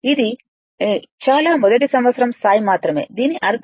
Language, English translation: Telugu, It will be very I mean only at first year level